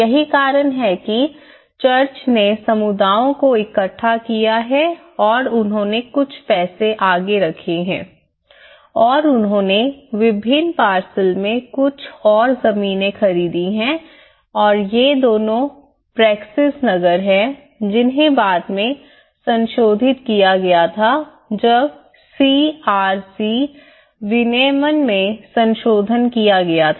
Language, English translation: Hindi, That is there the church have gathered the communities and they put some money forward and they bought some more land in different parcels and these two are Praxis Nagar which were later amended when the CRZ regulation has been further amended